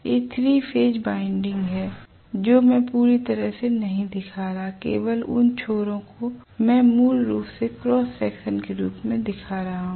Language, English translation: Hindi, These are the 3 Phase windings which I am not showing completely only the ends I am showing basically in the form of a cross section right